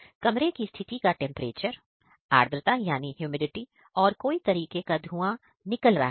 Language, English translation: Hindi, Here is room condition is temperature, humidity and what is condition is there is smoke or not